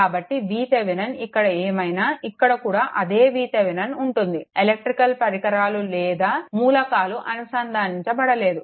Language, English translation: Telugu, So, whatever V Thevenin is here, V Thevenin is here same thing no electrical your devices or element is connected here, right